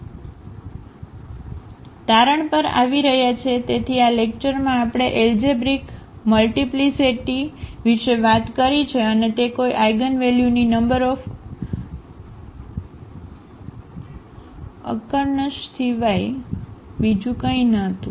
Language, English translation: Gujarati, Coming to the conclusion so, in this lecture we have talked about the algebraic multiplicity and that was nothing but the number of occurrence of an eigenvalue